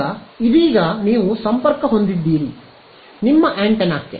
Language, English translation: Kannada, Now, it is now you connect your antenna to it right